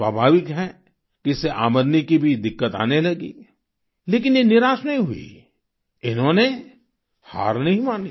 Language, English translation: Hindi, Naturally, their income got affected as well but they did not get disheartened; they did not give up